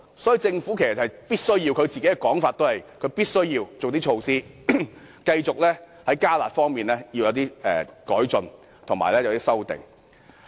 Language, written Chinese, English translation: Cantonese, 所以，按政府的說法，它必須提出一些措施，繼續在"加辣"方面作出改進及修訂。, Hence according to the Government it must put forward proposals to enhance and revise the curb measures